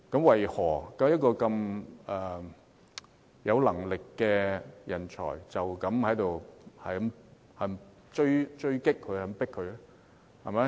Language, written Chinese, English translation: Cantonese, 為何一位有能力的人才要這樣被追擊？, Why should such a capable person be pursued in such a way?